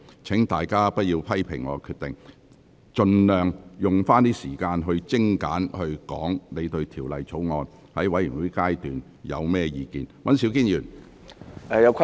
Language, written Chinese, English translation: Cantonese, 請大家不要批評我的決定，而應盡量善用時間，在全體委員會審議階段就《條例草案》作精簡的表述。, Instead of criticizing my decision Members should make the best use of their time to concisely express their views on the Bill in the committee of the whole Council